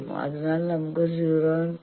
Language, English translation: Malayalam, So, let us say 0